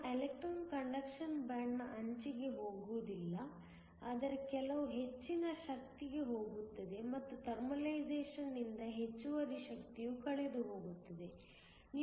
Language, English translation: Kannada, Your electron goes not to the edge of the conduction band, but to some energy higher and the excess energy is lost by thermalization